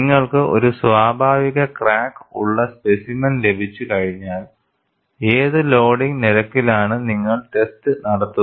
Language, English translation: Malayalam, Once you have a specimen with a natural crack, at what loading rate would you conduct the test